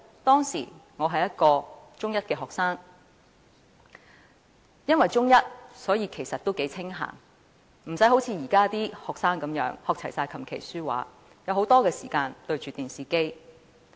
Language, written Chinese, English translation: Cantonese, 當時，我是一名中一學生，因為就讀中一，所以也頗清閒，無須像現時的學生般學習琴、棋、書、畫，可以有很多時間看電視。, Back then I was a Form One student . Since I was only in Form One I had a lot of free time to watch television unlike the students nowadays who have to learn an array of things such as musical instruments chesses reading and drawing